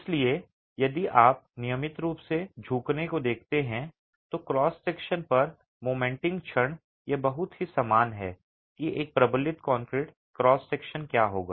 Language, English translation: Hindi, So, if you look at regular bending, sagging moments on the cross section, it's very similar to what a reinforced concrete cross section would be